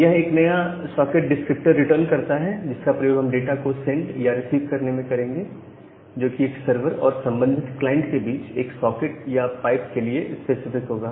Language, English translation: Hindi, So, it returns a new socket descriptor that we will used in the in sending or the receiving data, which is specific to a pipe or specific to a socket between a sever and the corresponding client